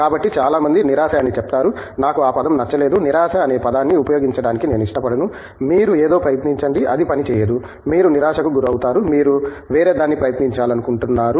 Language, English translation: Telugu, So, many people say frustration, I donÕt like that word, I prefer to use the word disappointment you try something it doesnÕt work out you are disappointed, you want to try something else